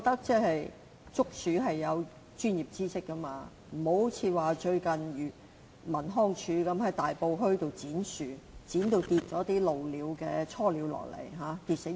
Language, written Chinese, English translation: Cantonese, 捉鼠需要專業知識，不能像最近康樂及文化事務署在大埔墟剪樹，導致鷺鳥雛鳥墮地死亡。, Rodent control requires professional knowledge . Incidents similar to the recent tree pruning by the Leisure and Cultural Services Department LCSD in Tai Po causing baby egrets to fall to the ground and died should not have happened